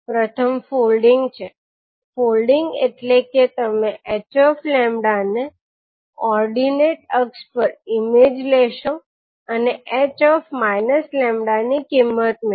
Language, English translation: Gujarati, First is folding, folding means you will take the mirror image of h lambda about the ordinate axis and obtain the value of h minus lambda